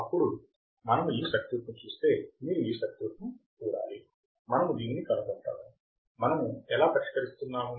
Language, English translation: Telugu, If we see this circuit, you have to see this circuit, we will find this, how are we solving